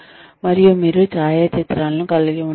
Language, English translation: Telugu, And, you could have photographs